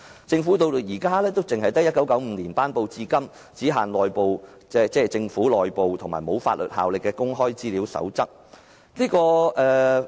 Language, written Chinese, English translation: Cantonese, 政府至今也只有由1995年頒布至今、只限政府內部適用和不具法律效力的《公開資料守則》。, So far the Government only has the Code on Access to Information which was promulgated in 1995 but it is only applicable internally to the Government and does not have any legal effect